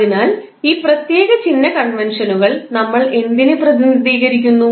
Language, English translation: Malayalam, So, what we represent by these particular sign conventions